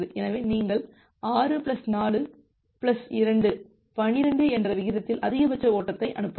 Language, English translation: Tamil, So, you can send a maximum flow at the rate of 6 plus 4 plus 10 plus 2, 12